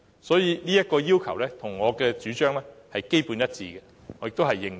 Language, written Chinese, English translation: Cantonese, 所以，這要求與我的主張基本上是一致的，而我也認同。, Therefore this request is basically in line with my advocacy and commands my approval